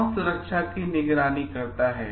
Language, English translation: Hindi, Who supervises safety